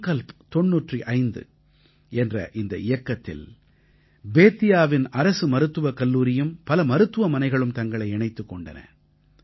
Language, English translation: Tamil, Under the aegis of 'Sankalp Ninety Five', Government Medical College of Bettiah and many hospitals also joined in this campaign